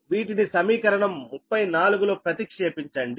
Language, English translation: Telugu, you substitute in equation thirty four